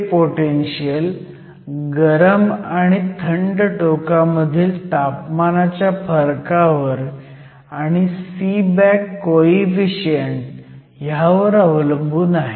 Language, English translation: Marathi, This potential is dependent on the temperature difference between the hot and cold end and a coefficient that is called Seeback coefficient